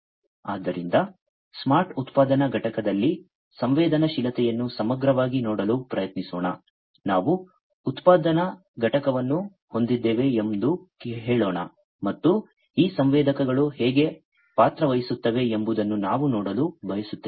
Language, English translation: Kannada, So, let us try to look at the sensing holistically in a, smart manufacturing plant, let us say that we have a manufacturing plant, and we want to look at how these sensors, play a role